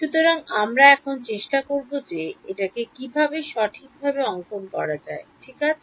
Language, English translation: Bengali, So, we will try to put this on a proper plotting now ok